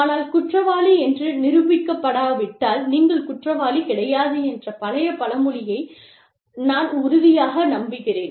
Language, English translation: Tamil, But, i am a firm believer, in the old adage of not guilty, unless proved otherwise